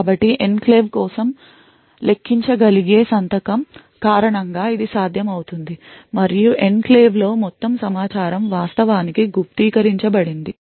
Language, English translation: Telugu, So, this is made a possible because of the signature’s which can be computed up for the enclave and also the fact the all the information in an enclave is actually encrypted